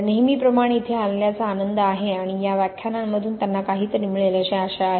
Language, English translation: Marathi, It is a pleasure to be here as always and hopefully they will get something from these lectures